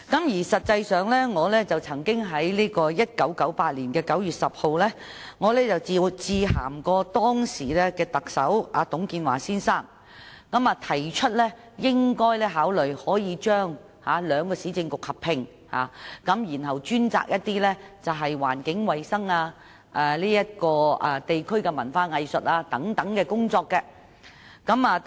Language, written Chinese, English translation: Cantonese, 事實上，我曾於1998年9月10日致函當時的特首董建華先生，提出政府應考慮將兩個市政局合併，由其專責環境衞生、地區文化藝術等工作。, In fact I wrote to the then Chief Executive Mr TUNG Chee - hwa on 10 September 1998 suggesting that the Government should consider merging the two Municipal Councils to take charge of environmental hygiene local arts and culture and so on